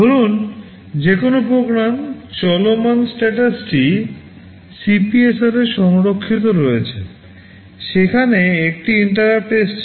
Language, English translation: Bengali, Suppose a program is running current status is stored in CPSR, there is an interrupt that has come